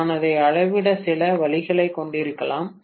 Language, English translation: Tamil, I may be having some way of measuring it, right